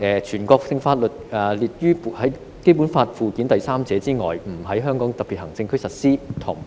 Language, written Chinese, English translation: Cantonese, 全國性法律除列於本法附件三者外，不在香港特別行政區實施。, National laws shall not be applied in the Hong Kong Special Administrative Region except for those listed in Annex III to this Law